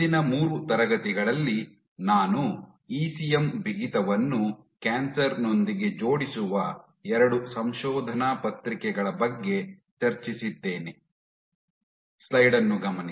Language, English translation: Kannada, What the last 3 classes I had discussed 2 papers which link ECM Stiffness with Cancer